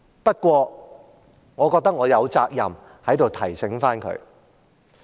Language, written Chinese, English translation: Cantonese, 不過，我覺得我有責任在這裏提醒他。, But I think I am obliged to remind him here